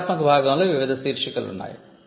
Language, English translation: Telugu, So, the descriptive part has various subheadings